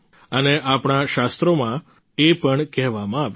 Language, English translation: Gujarati, And this has been quoted in our scriptures too